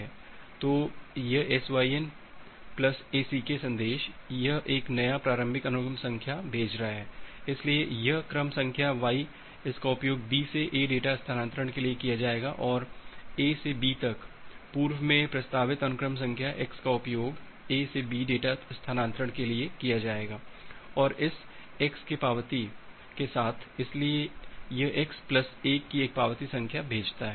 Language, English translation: Hindi, So, this SYN plus ACK message it is sending a new initial sequence number, so this sequence number y it will be used for B to A data transfer and earlier proposed sequence number from A to B that is x will be used for A to B data transfer and in acknowledge with this x, so it sends a acknowledgement number of x plus 1